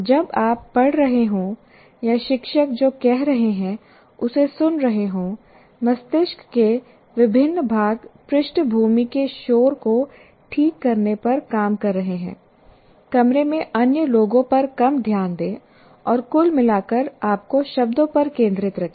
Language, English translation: Hindi, While you are reading or listening to what the teacher says, different parts of your brain are working to tune out background noises, pay less attention to other people in the room and overall keep you focused on the words